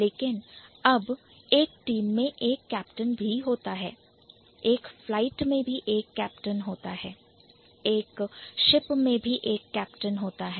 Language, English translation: Hindi, A team also has a captain, a flight also has a captain, a ship also has a captain